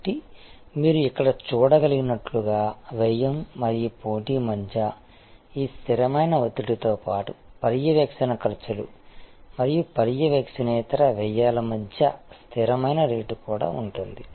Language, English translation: Telugu, So, as you can see here, besides this constant pressure between cost and competition, there is also a constant rate of between monitory costs and non monitory costs